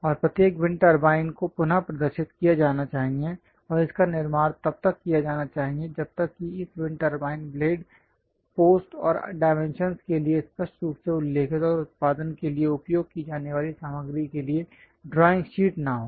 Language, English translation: Hindi, And each wind turbines supposed to be re represented and manufactured unless a drawing sheet is there for this wind turbine blades, post and dimensions tolerances clearly mentioned, and also materials used for production